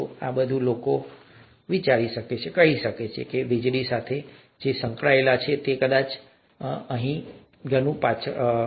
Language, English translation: Gujarati, And all the, all that the people could say who were involved with electricity is yes, may not be now, may be much later